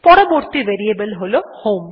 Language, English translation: Bengali, The next variable is HOME